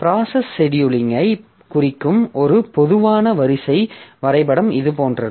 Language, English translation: Tamil, So, a typical queuing diagram that represents the process scheduling is like this